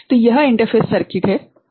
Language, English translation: Hindi, So, this is the interface circuit right